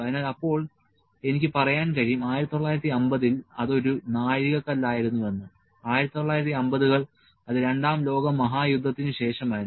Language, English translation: Malayalam, So, then I can say set a milestone was in 1950; 1950s, it was after the II world war